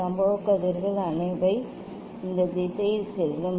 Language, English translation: Tamil, incident rays will they will pass in this direction